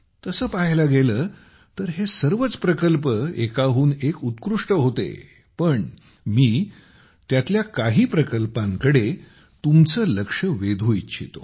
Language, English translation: Marathi, Although all these projects were one better than the other, I want to draw your attention to some projects